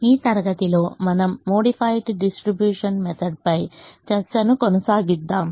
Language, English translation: Telugu, in this class we continue the discussion on the modified distribution method